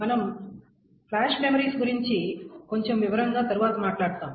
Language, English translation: Telugu, And we'll talk about flash memories a little bit more detail later